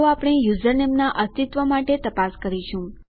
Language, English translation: Gujarati, So what we will do is check the existence of the username